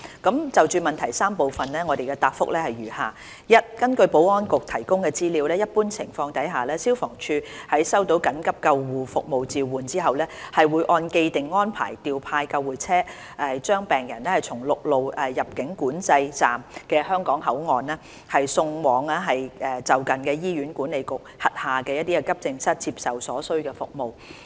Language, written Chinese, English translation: Cantonese, 就質詢的3個部分，我的答覆如下：一根據保安局提供的資料，一般情況下，消防處在收到緊急救護服務召喚後，會按既定安排調派救護車，把病人從陸路出入境管制站的香港口岸，送往就近的醫院管理局轄下的急症室接受所需服務。, My reply to the three parts of the question is as follows 1 According to the information provided by the Security Bureau under normal circumstances upon receipt of a call for emergency ambulance services the Fire Services Department FSD will dispatch ambulances in accordance with the established arrangements to transport patients from the Hong Kong ports of land control points to a nearby Accident and Emergency Department under the Hospital Authority to receive the services required